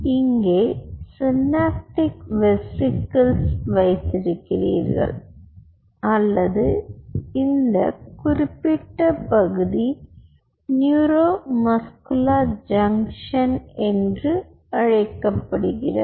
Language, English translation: Tamil, so so here you have the synaptic vesicles, or this particular part is called neuromuscular junction